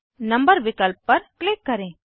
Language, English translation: Hindi, Click on number option